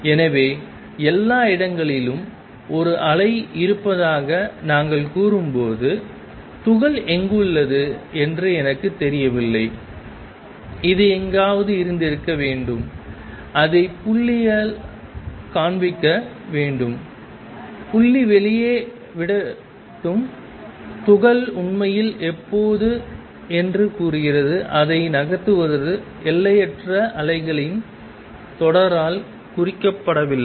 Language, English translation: Tamil, So, when we say that there is a wave all over the place, and I do not know where the particle is located which should have been somewhere here where are show it by the dot, let dot put out says the particle as actually when is moving it is not represented by infinite train of wave